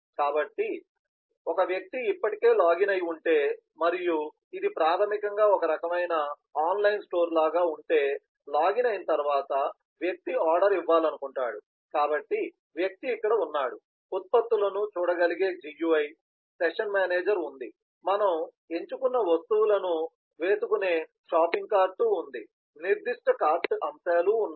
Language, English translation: Telugu, so if the person has already logged in and as if this is basically some kind of an online store, so after login, the person wants to place an order, so the person is here, the gui where the products can be seen, the session manager is there, the shopping cart where you elect the items that we have selected is there, specific cart items are there